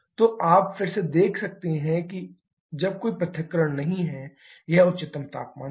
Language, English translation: Hindi, So, you can again see when there is no dissociation, this is the highest temperature